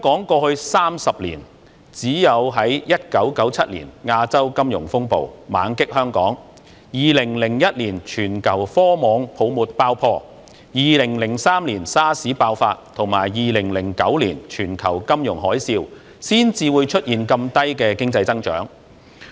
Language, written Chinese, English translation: Cantonese, 過去30年，只有在1997年亞洲金融風暴猛擊香港、2001年全球科網泡沫爆破、2003年 SARS 爆發，以及2009年全球金融海嘯，才出現如此低的經濟增長。, In the past 30 years such a low economic growth appeared only during the onslaught of the Asian financial turmoil in Hong Kong in 1997 the bursting of the tech bubbles around the world in 2001 the outbreak of SARS in 2003 and the global financial tsunami in 2009